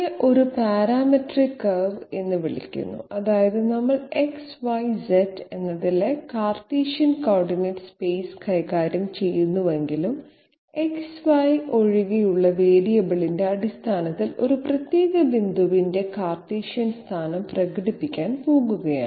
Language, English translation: Malayalam, It is referred to as a parametric curve which means that even if we are dealing with the Cartesian coordinate space in X, Y, Z, we are going to express the Cartesian position of a particular point in terms of a variable other than X, Y or Z